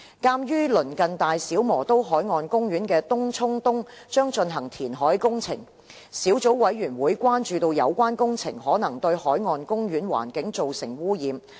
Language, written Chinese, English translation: Cantonese, 鑒於鄰近大小磨刀海岸公園的東涌東將進行填海工程，小組委員會關注有關工程可能對海岸公園環境造成污染。, The Subcommittee has expressed concern over the reclamation works due to take place at Tung Chung East close to BMP which may cause potential pollution to the marine park